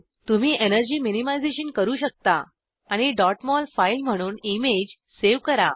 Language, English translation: Marathi, You can do energy minimization and save the image as dot mol file